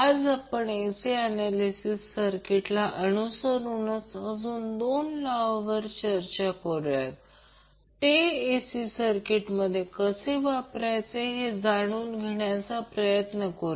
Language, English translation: Marathi, Today we will discuss about two more theorems which with respect to AC circuit analysis we will try to understand how we will implement those theorems in AC circuits